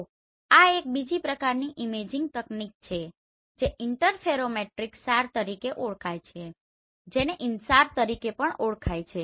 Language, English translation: Gujarati, So this is another type of imaging technique which is known as interferometric SAR which is also known as InSAR